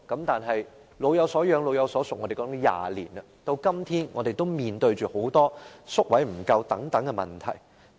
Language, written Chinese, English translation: Cantonese, 但是，我們說"老有所養、老有所屬"已經20年了，至今我們仍然面對宿位不足等問題。, But we have been talking about a sense of security and a sense of belonging for the elderly for two decades already and we still face such problems as a shortage of residential care places now